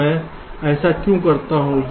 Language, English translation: Hindi, so why i do this